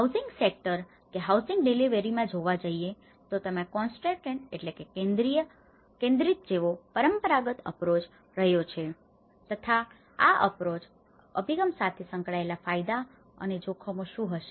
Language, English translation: Gujarati, In the housing sector, in the housing delivery, there has been a traditional approach, which is a concentrated approach and what are the benefits and risks associated with this approach